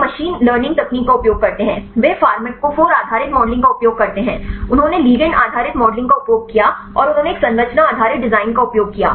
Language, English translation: Hindi, They use machine learning techniques, they use the pharmacophore based modeling, they used ligand based modeling and they used a structure based design